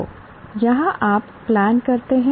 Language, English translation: Hindi, So, here what you do, you plan